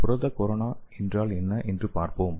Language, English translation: Tamil, Let us see what is protein corona